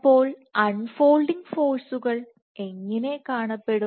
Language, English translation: Malayalam, So, how do the unfolding forces look